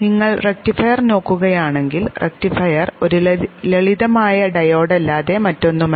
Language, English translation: Malayalam, If you look at the rectifier, rectifier is nothing but a simple diode